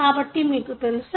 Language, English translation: Telugu, So, what we know